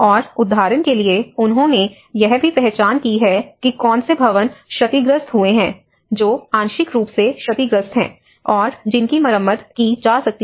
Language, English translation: Hindi, And for instance, they have also identified which of the buildings have been damaged, which are partially damaged, which could be repaired